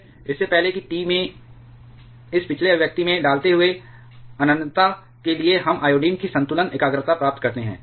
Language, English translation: Hindi, Before that putting in this previous expression at T tends to infinity we get the equilibrium concentration of iodine